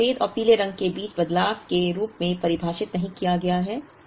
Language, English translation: Hindi, This is not defined as changeover between white and yellow